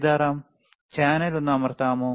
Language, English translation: Malayalam, Sitaram, can you please press channel one